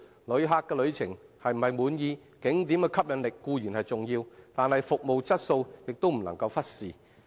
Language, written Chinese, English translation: Cantonese, 旅客對旅程是否滿意，景點的吸引力固然重要，但服務質素亦不能忽視。, While the appeal of scenic spots is certainly crucial to a visitors satisfaction of his journey the quality of service should not be neglected as well